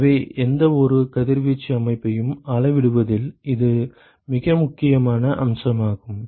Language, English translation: Tamil, So, this is a very important aspect of quantification of any radiation system